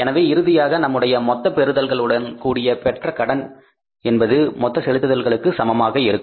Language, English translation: Tamil, So, it means finally our total receipts plus borings will be equal to the payments